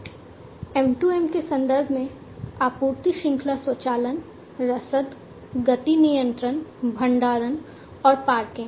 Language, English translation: Hindi, In the context of M2M, supply chain automation, logistics, motion control, storage and parking and so on